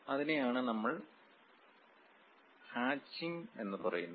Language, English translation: Malayalam, And that is what we call hatching, hatch